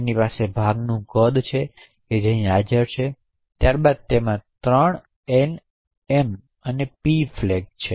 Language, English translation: Gujarati, It has the chunk size which is present over here and then it has 3 flags N, M and P flag